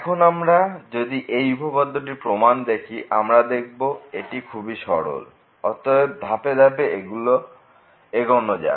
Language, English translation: Bengali, So, if we go through; now the proof which is pretty simple so, let us go step by step